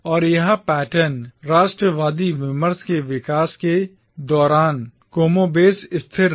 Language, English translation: Hindi, And this pattern remained more or less constant throughout the development of the nationalist discourse